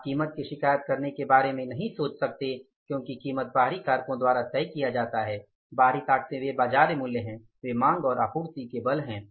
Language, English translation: Hindi, You cannot think of controlling the price because price is decided by the external factors, external forces and they are the market forces